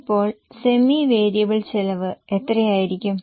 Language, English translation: Malayalam, Then semi variable cost, how much it is